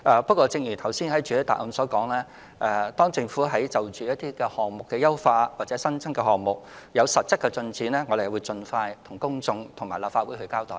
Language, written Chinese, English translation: Cantonese, 不過，正如我在主體答覆所說，當政府就項目優化或新增項目有實質進展時，會盡快向公眾並到立法會交代。, However as stated in my main reply once concrete progress is made in the introduction of enhancements or new measures the Government will make it known to the public and report to the Legislative Council